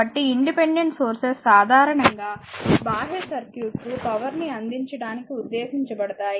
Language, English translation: Telugu, So, independent sources are usually meant to deliver power to the, your external circuit